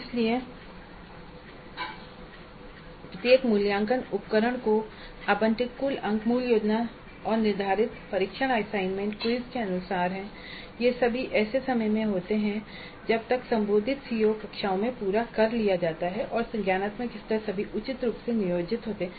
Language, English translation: Hindi, So the total marks allocated to each assessment instrument are as per the original plan and the scheduled test assignments and quizzes they all occur at a time by which the addressed CEOs have been completed in the classrooms and the cognitive levels are all appropriately planned